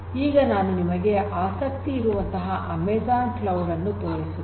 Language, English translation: Kannada, So, let me show you an example of the Amazon cloud